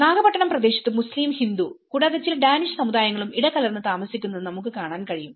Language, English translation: Malayalam, The Nagapattinam area, we can see a mix of Muslim, Hindu and also some of the Danish communities live there